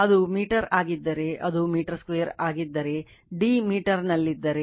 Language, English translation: Kannada, If it is a meter, then it will be your meter square, if d is in meter